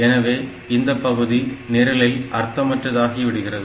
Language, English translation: Tamil, So, that this part does not have any meaning for my program